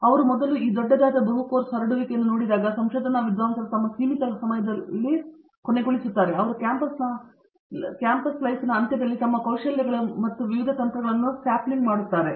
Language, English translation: Kannada, I think when they look at this whole this big spread of a multi course meal in front of them, they end up the research scholars in their limited time they are here on campus end up sampling a lot of the different techniques and they add to their own skills